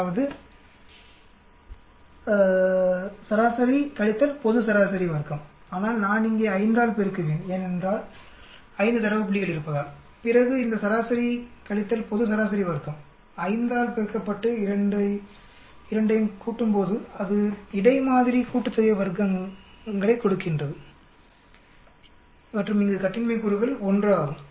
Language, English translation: Tamil, That mean minus global mean square but I will multiply by 5 here because there are 5 data point then this mean minus global mean square multiply by 5, add both that will give me the between sample sum of squares and the degree of freedom is 1 here